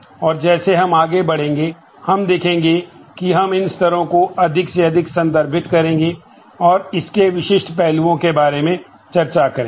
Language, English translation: Hindi, And as we go along, we will see that we will refer to these levels more and more and discuss about the specific aspects of those